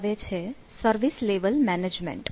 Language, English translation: Gujarati, so service level management